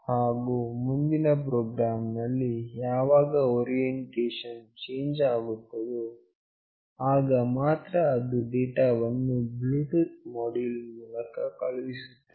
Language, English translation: Kannada, And in the next program whenever the orientation changes, then only it will send the data through this Bluetooth module